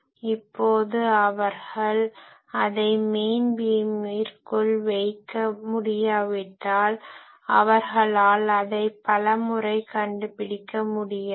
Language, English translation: Tamil, Now if they cannot put it into the main beam then they many times would not be able to detect it